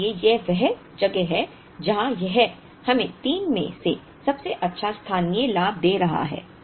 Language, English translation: Hindi, Therefore, this is the place where it is giving us a local benefit the best out of the 3